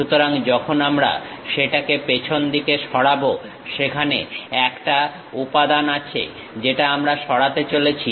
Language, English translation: Bengali, So, when we remove that, at back side there is a material that one we are going to remove it